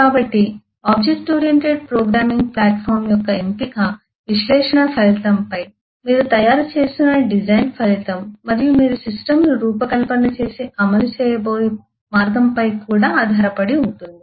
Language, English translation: Telugu, so the choice of object oriented programming platform will depend on the result of analysis, the result of the design that you are making, and will also depend on the way you actually are going to design and implement the system